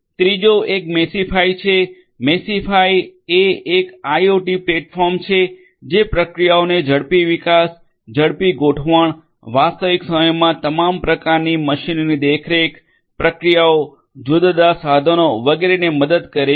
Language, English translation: Gujarati, The third one is Meshify; Meshify is an IIoT platform that helps in faster development faster deployment of the processes, helps in real time monitoring of all kinds of machinery, processes, different instruments etc